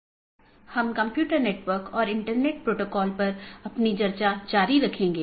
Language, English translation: Hindi, So we will be continuing our discussion on Computer Networks and Internet Protocol